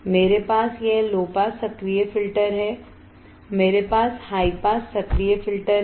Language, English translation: Hindi, I have this low pass active filter; I have high pass active filter